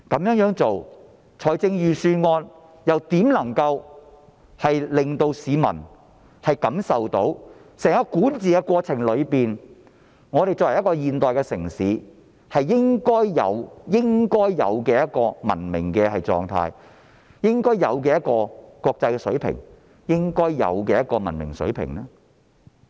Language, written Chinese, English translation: Cantonese, 預算案採用這樣的做法，如何能令市民感受到在整個管治過程中，香港作為一個現代城市具備應有的文明狀態、應有的國際水平及應有的文明水平呢？, Under such an approach how can this Budget give people an impression that throughout the governance process Hong Kong maintains a level of civilization on par with international standards as expected of a modern city?